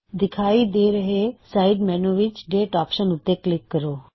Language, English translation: Punjabi, In the side menu which appears, click on the Date option